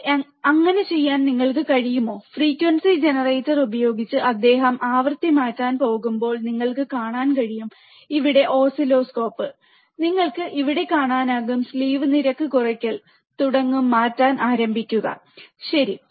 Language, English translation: Malayalam, Can you please do that yeah so, when he is going to change the frequency using frequency generator you can see the oscilloscope here, and you can see here the distortion will start occurring slew rate will start changing, right